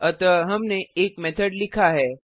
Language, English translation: Hindi, So we have written a method